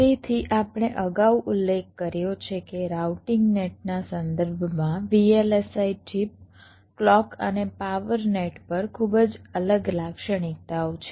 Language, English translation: Gujarati, so we mentioned earlier that with respect to routing nets on a vlsi chip, clock and the power nets have very distinct characteristics